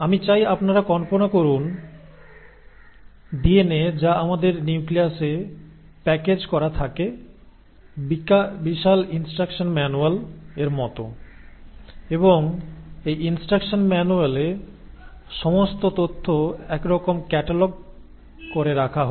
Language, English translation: Bengali, So I want you to start imagining that DNA which is packaged in our nucleus is like our huge instruction manual, and it is in this instruction manual that all the information is kind of catalogued and kept